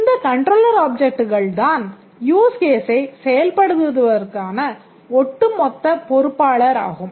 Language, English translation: Tamil, The third category of objects are the controller objects and the controller objects are in overall charge of executing a use case